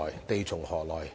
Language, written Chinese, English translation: Cantonese, 地從何來？, Where does the land come from?